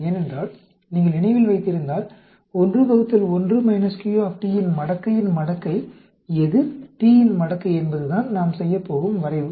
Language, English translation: Tamil, Because if you remember, logarithm of logarithm of 1 divided by 1 minus q t versus logarithm of t is what we are going to plot